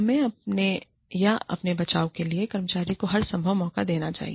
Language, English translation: Hindi, We must give the employee, every possible chance to defend, herself or himself